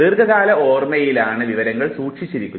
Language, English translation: Malayalam, And it is long term where the information is stored